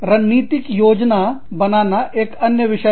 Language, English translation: Hindi, Strategic planning is another one